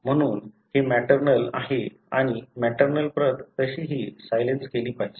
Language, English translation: Marathi, Therefore, this is maternal and the maternal copy anyway should be silenced